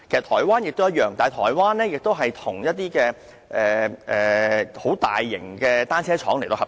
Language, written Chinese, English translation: Cantonese, 台灣也一樣，但台灣與一些大型的單車廠合作。, It is the same case with Taiwan but it cooperates with some sizable bicycle manufacturers